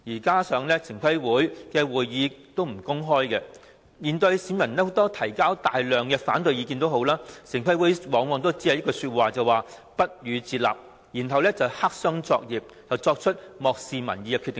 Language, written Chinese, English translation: Cantonese, 同時，城規會會議不會公開，即使市民提出大量反對意見，城規會往往表示不予接納，然後黑箱作業地作出漠視民意的決定。, In addition TPB does not hold open meetings and even if the public raise a lot of opposing views TPB very often pays no heed and proceeds to make decisions that ignore public opinion through black - box operation